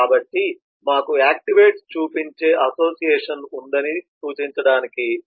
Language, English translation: Telugu, so represent that we have a association showing activates